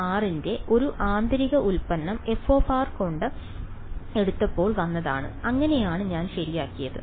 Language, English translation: Malayalam, It came when I took a inner product of t m r with f of r; that is how I got my f right